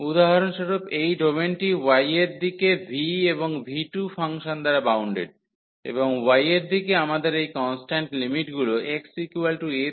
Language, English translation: Bengali, So, for example, this domain is bounded by the function v 1 and v 2 in the direction of y; and in the direction of y we have these constant limits from x is equal to a to x is equal to b